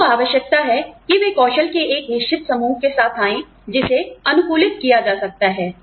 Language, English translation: Hindi, They need to come with, a certain set of skills, that can be adapted